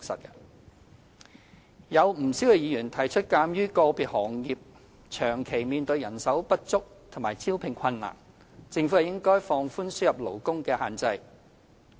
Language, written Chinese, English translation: Cantonese, 不少議員提出，鑒於個別行業長期人手不足，面對招聘困難，政府應放寬輸入勞工的限制。, Quite a few Members pointed out that in view of the recruitment difficulties faced by individual sectors suffering from a chronic shortage of manpower the Government should relax restrictions on labour importation